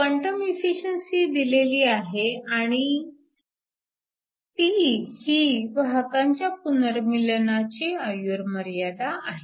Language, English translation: Marathi, The quantum efficiency is given and tau is the recombination life time of the carriers